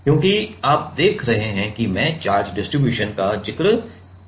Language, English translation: Hindi, Because, you see I am mentioning the charge distribution